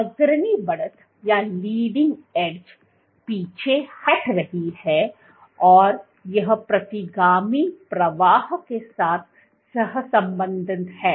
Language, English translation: Hindi, So, leading edge is retracting and it is correlating with the retrograde flow